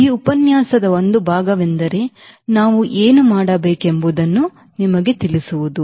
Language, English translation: Kannada, part of this lecture is to give you the understanding what we should do now